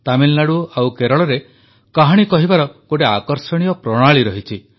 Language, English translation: Odia, In Tamilnadu and Kerala, there is a very interesting style of storytelling